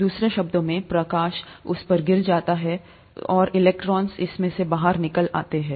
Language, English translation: Hindi, In other words, light falls on it, and electrons go out of it